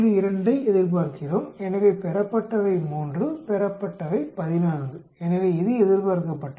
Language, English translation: Tamil, 2, so observed is 3, observed is 14 so this is expected